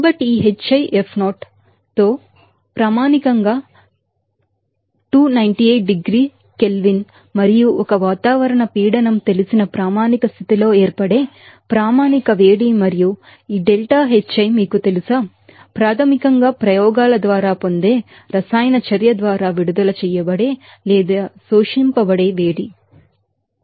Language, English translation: Telugu, So, this Hfi0 hat is basically the standard heat of formation at a standard condition like you know 298 degrees degree Kelvin and 1 atmospheric pressure and this deltaHi is, you know, basically the heat released or absorbed by the chemical reaction that is obtain by experimentation